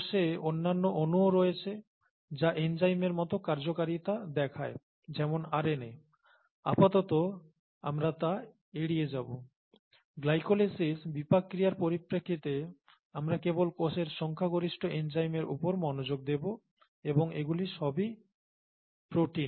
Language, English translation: Bengali, There are other molecules in the cell that have enzymatic activities such as RNA, we will keep that aside for the time being, we’ll just focus on the majority of enzymes in the cell in terms of glycolysis, in terms of metabolic pathways and they are all proteins